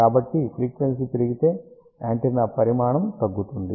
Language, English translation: Telugu, So, frequency increases, size will decrease